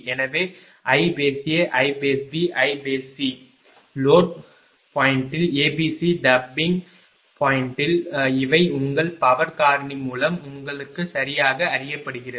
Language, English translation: Tamil, So, i A, i B, i C at load point a tapping point A B C these are known right with their power factor with a your power factor also known right